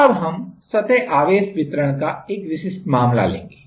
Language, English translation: Hindi, Now, we will take a specific a specific case of surface charge distribution